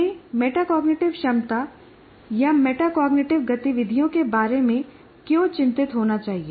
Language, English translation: Hindi, And why should we be concerned about metacognitive ability or metacognitive activities